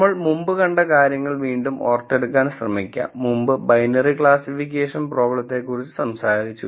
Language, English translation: Malayalam, Just to recap the things that we have seen before, we have talked about binary classification problem before